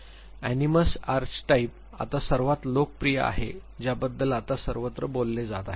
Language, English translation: Marathi, Animus Archetype now is the most popular that you will find everywhere being talked about